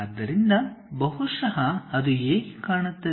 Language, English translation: Kannada, So, maybe it looks like that